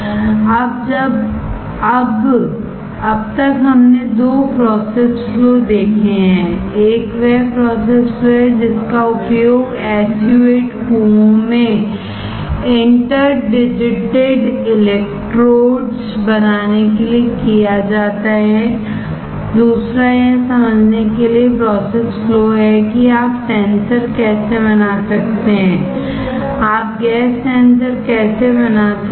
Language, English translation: Hindi, Now, until now we have seen two process flow: one is the process flow that is used for creating interdigitated electrodes in SU 8 well, second is the process flow for understanding how you can fabricate a sensor; how you can fabricate a gas sensor